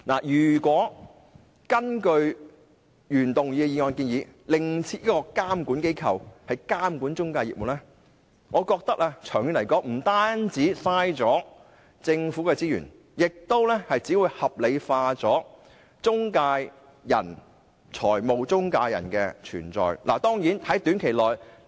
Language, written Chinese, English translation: Cantonese, 如果根據原議案的建議，另設監管機構監管中介業務，我覺得長遠來說，不單浪費了政府的資源，亦只會把中介公司的存在合理化。, If a new regulatory body is established to regulate intermediary business I think that in the long run not only will government resources be wasted the existence of intermediaries will also become justified